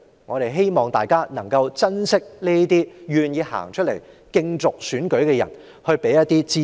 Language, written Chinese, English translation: Cantonese, 我希望大家能夠珍惜這些願意出來參選的人，給予他們支持。, We should treasure and support these people who are willing to come out for election